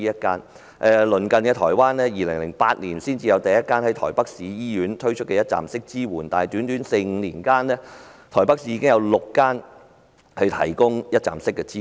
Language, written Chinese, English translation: Cantonese, 反觀鄰近的台灣，當地在2008年才有首個設於台北市醫院的一站式支援中心，但在短短四五年間，台北市已有6間醫院提供一站式支援。, In contrast although the first one - stop support centre in our neighbouring place of Taiwan was only set up in 2008 at a hospital in Taipei City one - stop support services have subsequently become available at six hospitals in Taipei City within four to five years